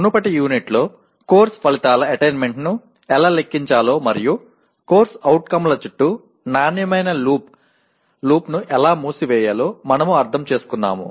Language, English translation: Telugu, In the earlier unit we understood how to compute the attainment of Course Outcomes and close the quality loop around the COs